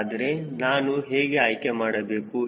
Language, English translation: Kannada, so then how do i select